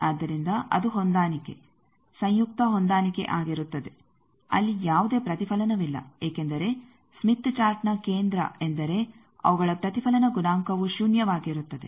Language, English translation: Kannada, So, that that will be the match that is the conjugate match case that there is no reflection there because centre of a smith chart means their reflection coefficient is zero